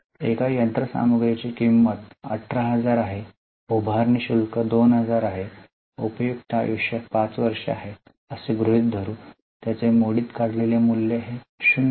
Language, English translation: Marathi, So, cost of machinery is 18,000, installation charges are 2,000, useful life is 5 years, we have assumed that scrap value is 0